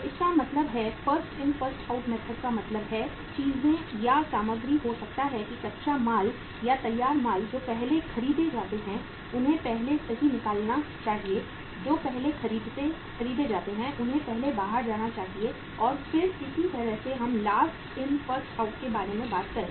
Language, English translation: Hindi, So it means in the First In First Out Method means things or the materials, maybe raw material or the finished goods which are purchased first they should go out first right which they are purchased first they should go out first and then similarly we talk about the Last In First Out